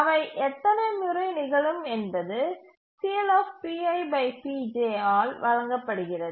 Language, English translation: Tamil, The number of times they will occur is given by P